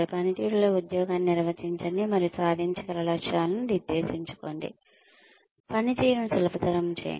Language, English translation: Telugu, Define the job in performance, and set achievable goals, facilitate performance